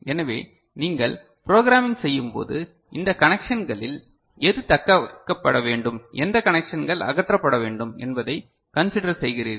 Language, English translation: Tamil, So, when you are doing programming, so your are considering which of these connections are to be retained and which of the connections are to be removed, is it clear ok